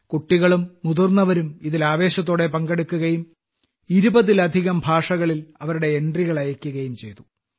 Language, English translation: Malayalam, Children, adults and the elderly enthusiastically participated and entries have been sent in more than 20 languages